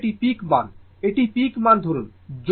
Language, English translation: Bengali, So, now this is the peak value